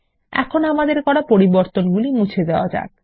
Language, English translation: Bengali, Now, let us delete the changes made